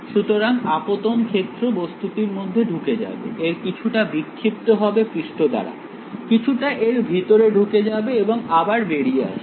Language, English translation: Bengali, So, the incident field will go inside the object, some of it will gets scattered by the surface, some of it will go inside and will reemerge